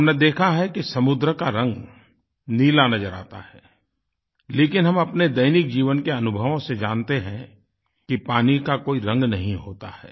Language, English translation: Hindi, All of us have seen that the sea appears blue, but we know from routine life experiences that water has no colour at all